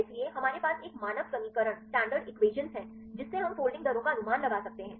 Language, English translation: Hindi, So, we have a standard equations we can predict the folding rates fine